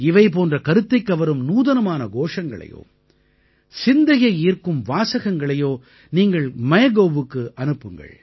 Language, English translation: Tamil, Now you can also send such innovative slogans or catch phrases on MyGov